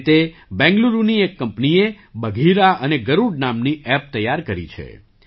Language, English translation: Gujarati, Similarly, a Bengaluru company has prepared an app named 'Bagheera' and 'Garuda'